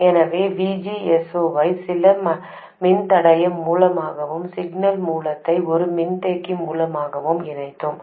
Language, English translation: Tamil, So, we connected VGS 0 through some resistor and the signal source through a capacitor